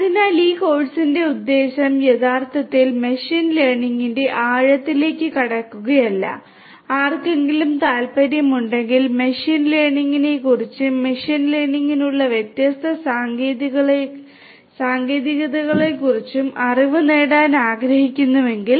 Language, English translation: Malayalam, So, the purpose of this course is not to really get into the depth of machine learning and if anybody is interested and wants to have knowledge of machine learning and the different techniques that are there for machine learning